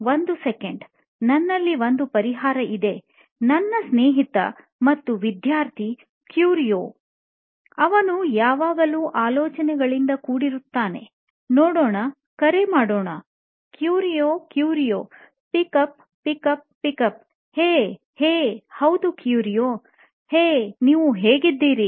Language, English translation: Kannada, I do not have any ideas, wait a second, I have an idea I call my friend, my student Curio, let us see he is always brimming with ideas, let me call him first, come on Curio, Curio pickup pickup pickup, ha, hey, yes Curio, hey how are you man